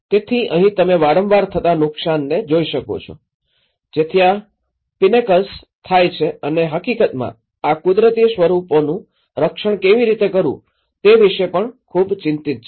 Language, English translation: Gujarati, So, what you can see here is like you can see the frequent damages, which is occurring to these pinnacles and in fact, one is also very much concerned about how to protect these natural forms